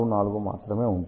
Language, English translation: Telugu, 64 corresponding to 2